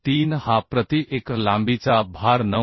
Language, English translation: Marathi, 3 was the load per unit length 9